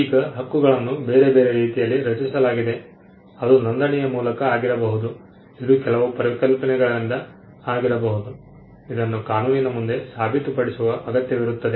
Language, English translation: Kannada, Now, the right itself is created in different ways it could be by deposit, it could be by registration, it could be by certain concepts which the law requires you to prove